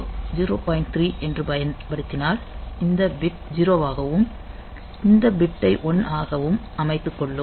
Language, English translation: Tamil, So, what I am doing I am setting these bit as 0 and these bit as 1